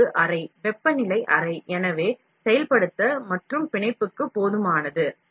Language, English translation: Tamil, This is a chamber, temperature chamber so, there sufficient enough to activate and bond